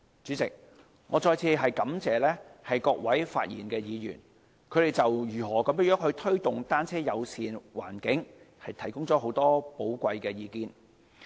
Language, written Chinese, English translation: Cantonese, 主席，我再次感謝各位發言的議員，他們就如何推動單車友善環境提供了許多寶貴的意見。, President I once again thank those Members who have spoken . They have offered much valuable input on how to promote a bicycle - friendly environment